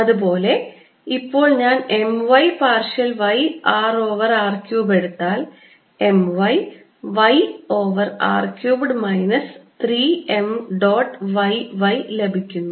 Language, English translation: Malayalam, similarly, if i take m y partial y of r over r cubed, i am going to get m y, y over r cubed, minus three m dot y y